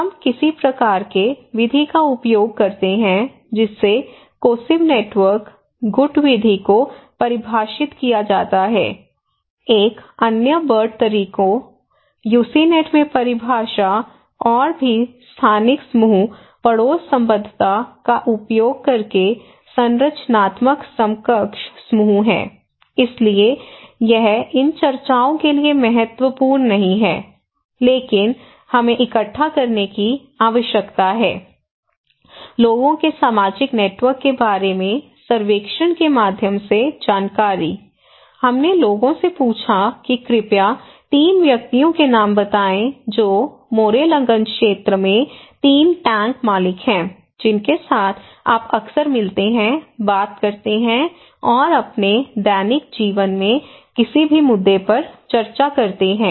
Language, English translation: Hindi, So, we use some kind of method to define cohesive networks, faction methods, another one is structural equivalent group by using Burt methods, definition in UCINET and also spatial group neighbourhood affiliations anyway, so this is not that important for these discussions but we need to collect the information through survey about people's social networks so, we asked the people that okay, kindly name as 3 persons; 3 tank owners in this area in Morrelganj area with whom you often meet, talk and discuss in any issues in your daily life